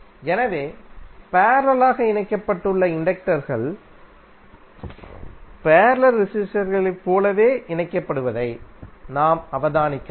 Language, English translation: Tamil, So what we can observe, we can observe that inductors which are connected in parallel are combined in the same manner as the resistors in parallel